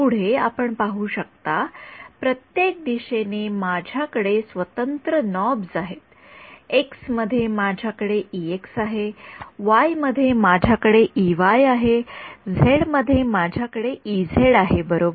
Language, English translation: Marathi, Further you can see that in each direction, I have independent knobs, in x I have e x, in y I have e y, in z I have e z right